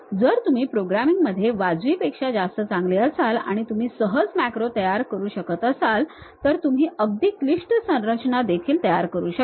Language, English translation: Marathi, If you are reasonably good with programming and you can easily construct macros then you can build even complicated structures